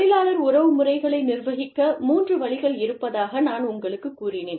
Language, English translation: Tamil, I told you, that there are three ways in which, the labor relations process, can be managed